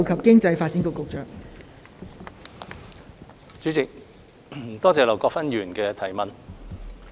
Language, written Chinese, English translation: Cantonese, 代理主席，多謝劉國勳議員的質詢。, Deputy President I thank Mr LAU Kwok - fan for his question